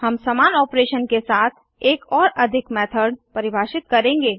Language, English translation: Hindi, We will define one more method with same opearation